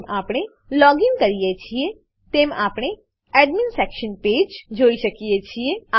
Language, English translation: Gujarati, As soon as we login, we can see the Admin Section page